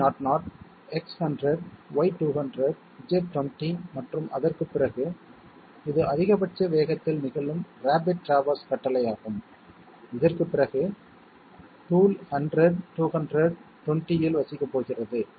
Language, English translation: Tamil, G90 G00 X100 Y200 Z20 and after that, so this is a rapid traverse command occurring at highest possible speed and after this, the tool is going to reside at 100, 200, 20